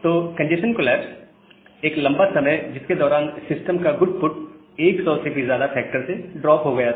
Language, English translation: Hindi, So, this congestion collapse was a prolonged period during which the goodput of the system that they dropped significantly more than a factor of 100